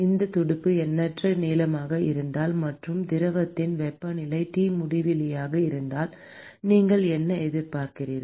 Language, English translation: Tamil, If this fin is infinitely long, and if the temperature of the fluid is T infinity, what would you expect